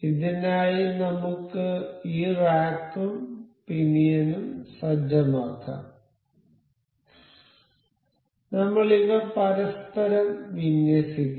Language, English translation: Malayalam, So, let us just set up this rack and pinion, I will just align these over one another